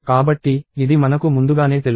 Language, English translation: Telugu, So, I knew this ahead of times